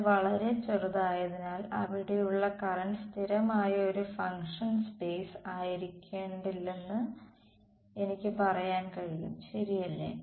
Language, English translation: Malayalam, And because it so tiny, I can say that the current in there is constant need not be a function space correct